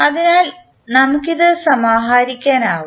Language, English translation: Malayalam, So, we can compile it